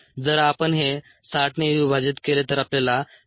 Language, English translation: Marathi, if we divide this by sixty, we get seven point two minutes